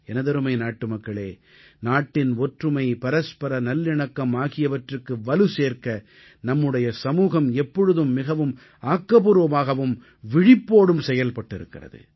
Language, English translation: Tamil, My dear countrymen, our nation has always been very proactive and alert in strengthening unity and communal harmony in the country